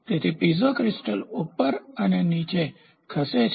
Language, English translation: Gujarati, So, Piezo crystal moves up and up and down